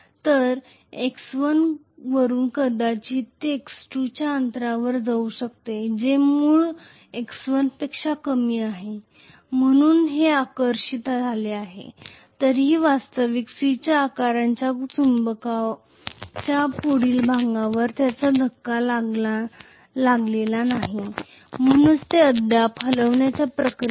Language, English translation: Marathi, So from x 1 maybe it is moving to a distance of x 2 which is less than the original x 1, so it has been attracted, still it has not been hit the next one the actual C shaped magnet, so it is still in the process of moving